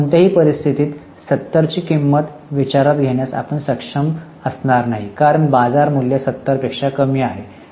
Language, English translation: Marathi, Now, see, in any case, the cost which is 70, we will not be able to consider because the market value is less than 70